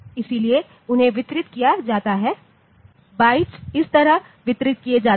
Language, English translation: Hindi, So, they are distributed the bytes are distributed like this